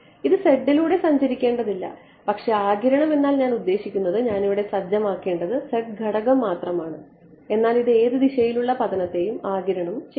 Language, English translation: Malayalam, It need not be travelling along the z, but the absorption I mean the parameters that I have to set is only the z parameter, but it's absorbing any direction incident on it